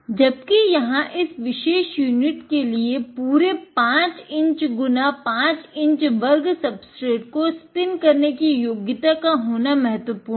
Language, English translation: Hindi, However, what is important also in this particular unit is that it has the capability of spinning a full 5 inch by 5 inch square substrate